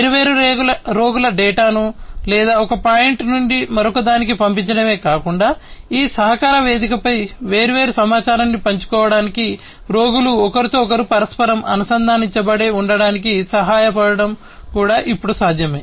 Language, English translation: Telugu, And it is now possible not only to send the data of different patients or whatever from one point to another, but also to help the patients to stay interconnected with one another to share the different information over this collaborative platform and so on